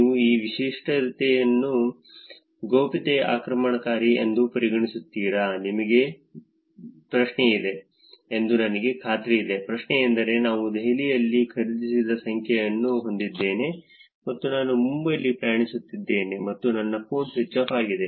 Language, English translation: Kannada, Would you consider this feature as privacy invasive, I am sure you got the question, the question is simply that I have a number which I bought it in Delhi and I am traveling in Mumbai and my phone is switched off